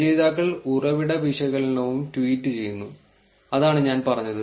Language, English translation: Malayalam, And authors also, tweet source analysis which is what I said